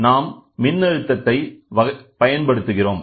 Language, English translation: Tamil, So, we always look for voltage